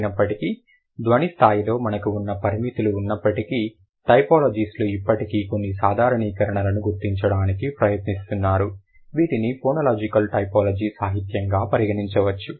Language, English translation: Telugu, However, in spite of all the restrictions that we have at the sound level, the typologist, they still are trying to find out at least some generalizations to identify like some generalizations which can be considered in phonological typology literature